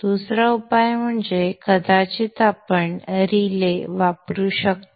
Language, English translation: Marathi, Another solution is probably we could use a relay